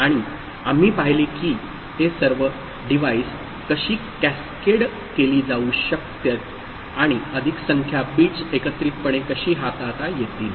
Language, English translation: Marathi, And we saw that how all these devices can be cascaded and more number of bits can be handled together